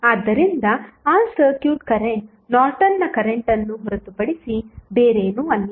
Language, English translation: Kannada, So, that circuit current would be nothing but the Norton's current